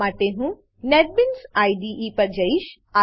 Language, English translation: Gujarati, For this, I will switch to Netbeans IDE